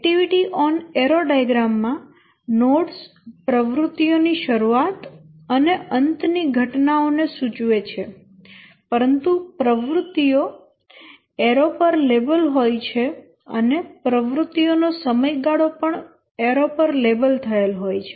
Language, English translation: Gujarati, The activity on arrow diagram here the nodes indicate the start and end events of activities, but the activities themselves are marked on the arrows and also the duration of the activities are marked on the arrows